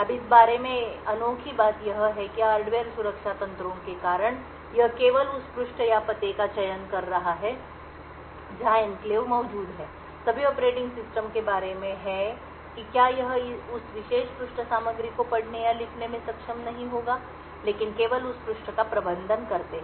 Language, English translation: Hindi, Now the unique thing about this is that due to the hardware protection mechanisms this is just choosing the page or the address where the enclave is present is about all the operating system can do it will not be able to read or write to the contents within that particular page but rather just manage that page